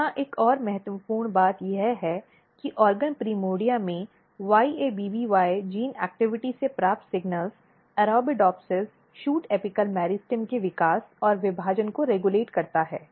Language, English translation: Hindi, Another important thing here is that the signals derived from YABBY gene activity in organ primordia regulates growth and partitioning of Arabidopsis shoot apical meristem